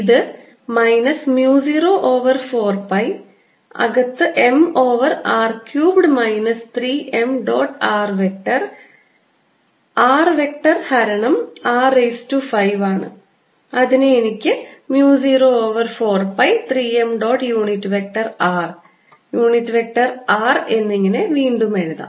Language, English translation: Malayalam, i get m over r cubed minus three m dot r vector r vector divide by r, raise to five, which i can then write as mu naught over four pi three m dot unit vector r, unit vector r again